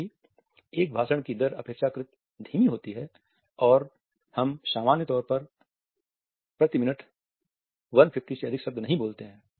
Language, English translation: Hindi, However, the rate of a speech is relatively slow we normally cannot speak for more than 150 words per minute